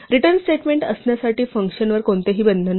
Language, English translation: Marathi, There is no obligation for a function to actually have a return statement